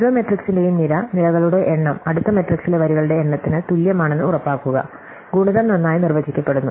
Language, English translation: Malayalam, So, we are guaranteed that the column of each matrix, the number of columns is equal to the number of rows in the next matrix, so that product is well defined